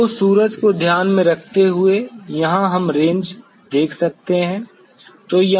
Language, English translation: Hindi, So, considering the sun, here we could see the ranges